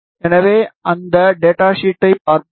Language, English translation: Tamil, So, let us have a look at that data sheet